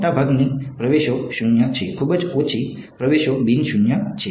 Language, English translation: Gujarati, Most of the entries are zero, very few entries are non zero ok